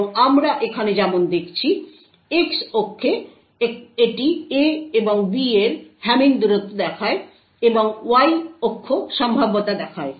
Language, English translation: Bengali, And as we see over here, on the X axis it shows the Hamming distance between A and B and the Y axis shows the probability